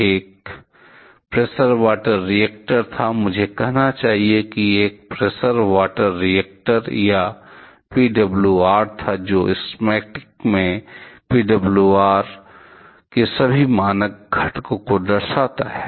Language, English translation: Hindi, It was a pressure water reactor pressurize; I should say it was a pressurize water reactor or PWR which in the schematic shows all the standard components of PWR